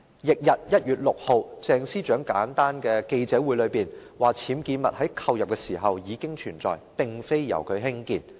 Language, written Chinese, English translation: Cantonese, 翌日，即1月6日，鄭司長召開簡單記者會，表示僭建物在購入時已存在，並非由她興建。, On the next day ie . 6 January Ms CHENG held a simple press conference saying that the UBWs were not erected by her as they already existed when she purchased her home